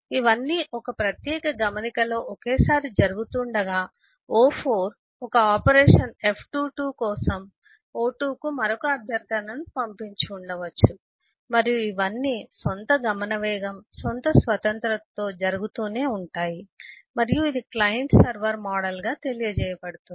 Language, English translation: Telugu, on a separate note, o4 may have sent another request to o2 for doing some operation f2 and all these can keep on happening at the own speed case, at the own speed independence, and this is what is known as the client server model